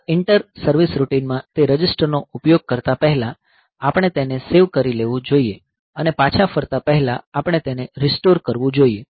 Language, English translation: Gujarati, So, in this inter service routine before using those registers we should save them and before returning we should restore them